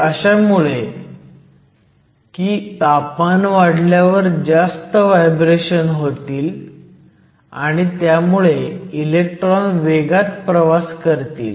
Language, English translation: Marathi, So, this make sense, because the temperature increases you have greater lattice vibrations and also you have electrons there are traveling faster